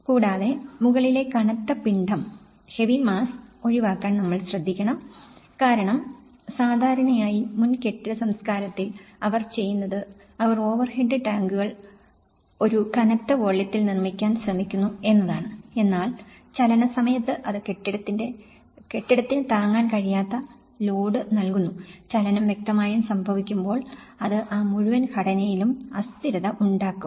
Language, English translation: Malayalam, Also, we should try to avoid the heavy mass at the top because normally, in the previous building culture, what they do is they try to build the overhead tanks at a heavy volumes but then during the movement you know that is where it can also give a load and it can also can be a cause of that particular you know, when the movement is happening obviously, it can bring instability in that whole structure